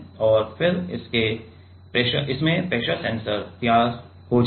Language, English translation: Hindi, And then in this pressure sensor will be ready